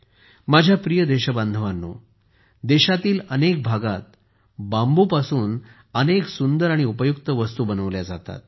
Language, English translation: Marathi, My dear countrymen, many beautiful and useful things are made from bamboo in many areas of the country